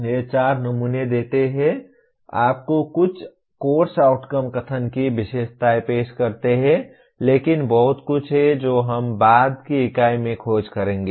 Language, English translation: Hindi, These four samples give, present you some features of course outcome statements but there is lot more which we will explore in the later unit